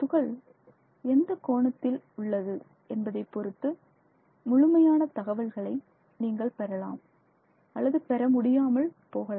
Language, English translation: Tamil, And based on how that particle is oriented you may or may not completely capture this information